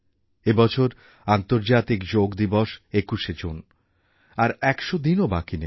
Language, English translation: Bengali, Less than a hundred days are now left for the International Yoga Day on 21st June